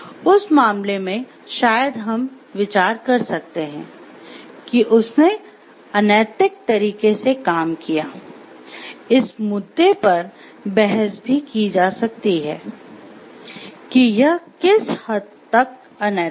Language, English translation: Hindi, So, in that case maybe we can consider he has acted in an unethical way, the degree can be debated like to what extent it was unethical and all